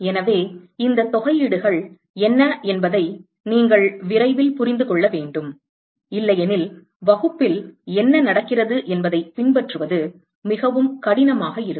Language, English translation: Tamil, So, you must understand what these integrals are as quickly as possible otherwise it will be very difficult to follow what is happening in the class